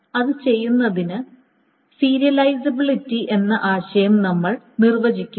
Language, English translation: Malayalam, And to do that, we define the notion of serializability